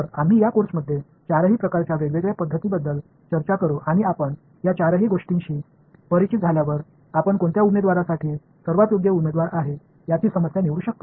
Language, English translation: Marathi, So, we will talk about all four different kinds of methods in this course and after you are familiar with all four, then you can choose for a given problem what is the best candidate